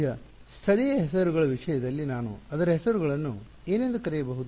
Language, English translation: Kannada, Now, in terms of local names what can I call it local names